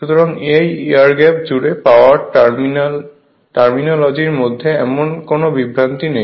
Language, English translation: Bengali, So, there is no no such confusion of this terminology that power across air gap right